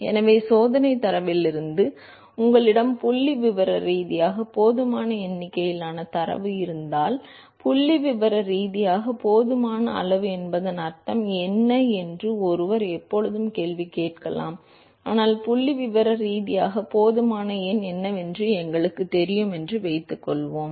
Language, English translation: Tamil, So, from the experimental data if you have statistically enough number of data, so, one could always question what is mean by statistically enough, but let us assume that we know what a statistically enough number